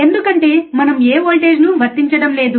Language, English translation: Telugu, , bBecause we are not applying any voltage,